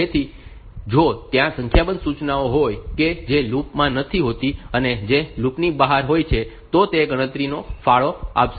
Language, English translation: Gujarati, So, if there are a number of instructions which are not in the loop, which are outside the loop so, they will contribute to this To calculation